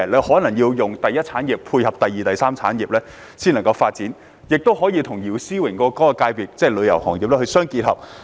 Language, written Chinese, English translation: Cantonese, 可能需要配合第二、第三產業的發展，或與姚思榮議員代表的旅遊業界相配合。, There may be a need to tie in with the development of the secondary and tertiary industries or dovetail with the tourism industry represented by Mr YIU Si - wing